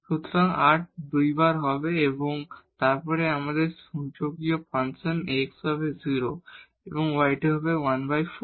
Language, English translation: Bengali, So, r will be 2 times and then we have exponential function x is 0 and y square is 1 by 4